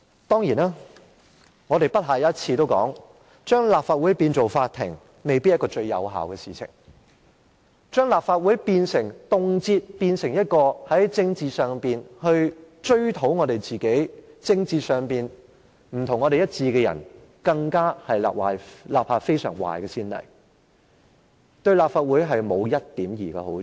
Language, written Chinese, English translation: Cantonese, 當然，我們已不下一次提出，將立法會變成法庭未必是最有效的做法，而將立法會動輒變成一個平台，追討在政治上與我們不一致的人，更是立下非常壞的先例，對立法會沒有一點兒好處。, Certainly we have pointed out more than once that it may not be the most effective approach to turn the Legislative Council into a court . On the other hand if the Legislative Council is readily turned into a platform for condemning those people who disagree with us in politics it will only set an extremely bad precedent and bring no benefit to the Legislative Council